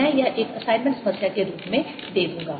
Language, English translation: Hindi, i'll give that as an assignment problem